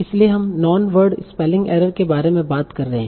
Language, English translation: Hindi, So now the next concept is the real word spelling errors